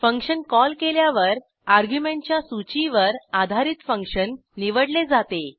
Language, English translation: Marathi, When a function is called it is selected based on the argument list